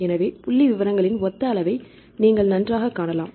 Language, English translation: Tamil, So, you can see the similar level of the statistics fine ok